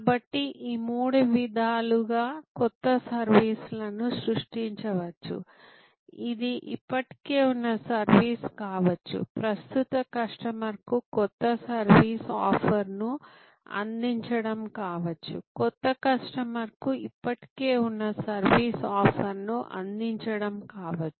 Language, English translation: Telugu, So, new services can be created in these three trajectories either it can be existing service offered new service offer to existing customer existing service offer to new customer